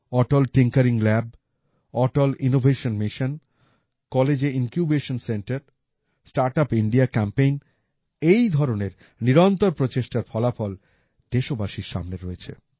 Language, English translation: Bengali, Atal Tinkering Lab, Atal Innovation Mission, Incubation Centres in colleges, StartUp India campaign… the results of such relentless efforts are in front of the countrymen